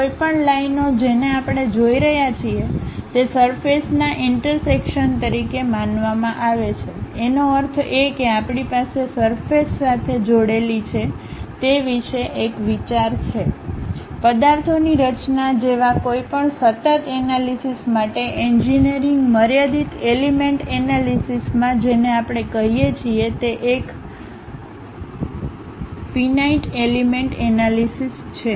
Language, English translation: Gujarati, Any lines what we are seeing this supposed to be intersection of surfaces; that means, we have idea about what are the surfaces connected with each other; for any continuum analysis like designing the objects, one of the popular numerical method what we call in engineering finite element analysis